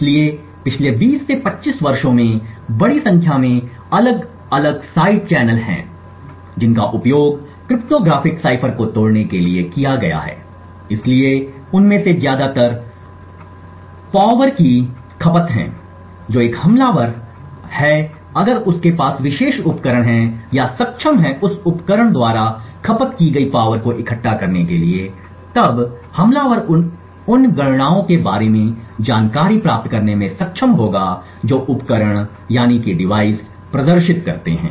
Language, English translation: Hindi, So over the last 20 to 25 years there have been a large number of different side channel that have been used to break cryptographic ciphers so most common ones of them are power consumptions that is an attacker if he has position of this particular device or is able to gather the power consumed by that device then the attacker would be able to gain information about the computations that the device performs